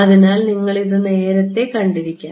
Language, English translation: Malayalam, So, you may have seen this earlier